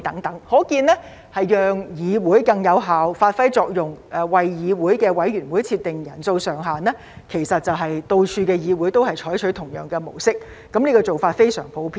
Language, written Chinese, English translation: Cantonese, 由此可見，為了讓議會更有效發揮作用，為議會委員會設定人數上限，到處的議會都採取同樣的模式，這做法非常普遍。, Obviously in order for the legislatures to exercise their functions more effectively a cap is set for the membership size of committees in legislatures . The same model is adopted by all legislatures around the world and this practice is very common